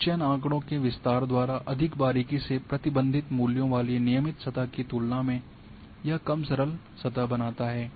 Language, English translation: Hindi, It creates less smooth surface as compared with regularized one with values more closely constrained by the sample data range